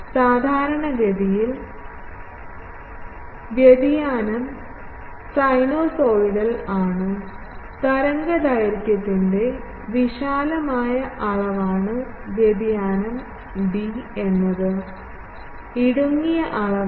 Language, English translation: Malayalam, Typically, the variation is sinusoidal variation a is the broader dimension of the waveguide, b is the narrower dimension of the waveguide etc